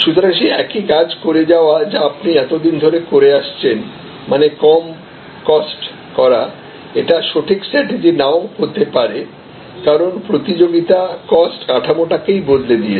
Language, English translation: Bengali, So, then just by doing the same thing that you have being doing earlier and reducing cost may not be the right strategy, because the competition has actually change the total cost structure